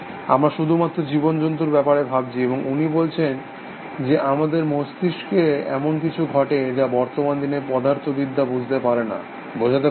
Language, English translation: Bengali, We are the only thinking creatures, and he says that there something happening in our brains, which current day physics cannot understand, cannot explain essentially